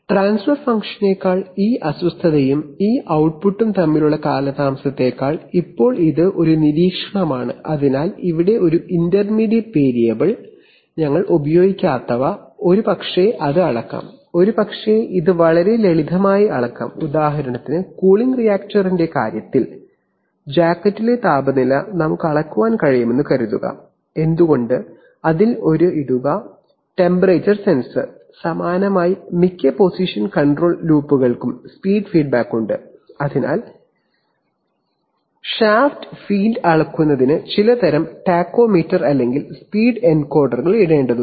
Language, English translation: Malayalam, Than the transfer function, than the lag between this disturbance and this output, so now this is, this an observation, so here is an intermediate variable, Which we are not using, maybe it could be measured, maybe it could be measured very simply, for example in the case of the cooling reactor, suppose we could measure the jacket temperature why not, that, that involves simply putting a, putting a temperature sensor, similarly most position control loops have speed feedback, so putting, so measuring the shaft field requires simply putting some kind of a tachometer or speed encoder